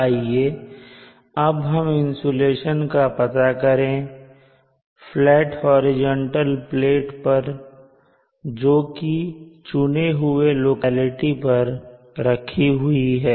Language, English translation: Hindi, Let us now find the insulation on a horizontal flat plate located at the chosen locality here